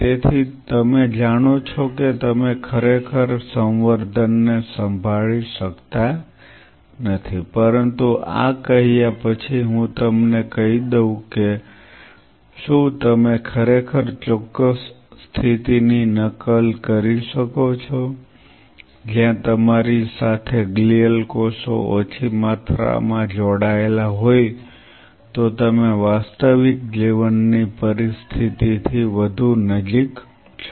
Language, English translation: Gujarati, So, that you know you cannot really handle the culture, but having said this let me tell you if you could really mimic the exact condition, where you have small amount of glial cells attached to it then you are much more closer to the real life situation